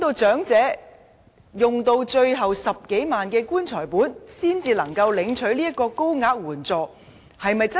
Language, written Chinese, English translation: Cantonese, 長者是否要用盡最後10多萬元的"棺材本"時，才能領取這筆高額援助？, Do elderly people have to spend every penny of their last 100,000 before they are eligible for such a higher tier of assistance?